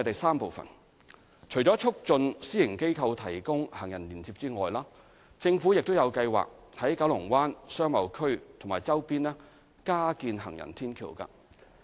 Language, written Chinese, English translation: Cantonese, 三除了促進私營機構提供行人連接外，政府有計劃在九龍灣商貿區及其周邊加建行人天橋。, 3 Apart from facilitating provision of pedestrian links by the private sector the Government has plans to construct additional footbridges in KBBA and its vicinity